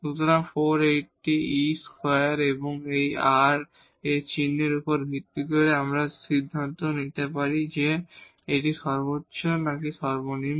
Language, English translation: Bengali, So, 480 over e square and now based on this sign of r, we can decide whether this is a point of maximum or minimum